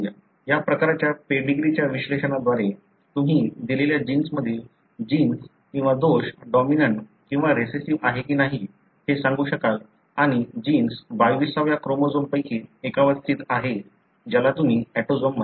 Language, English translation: Marathi, So, with this kind of pedigree analysis, you will be able to tell whether a gene or defect in a given gene results in a dominant or recessive condition and the gene is located on one of the 22 chromosomes which you call as autosomes